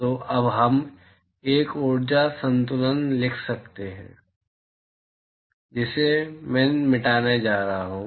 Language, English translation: Hindi, So, now we can write an energy balance I am going to erase this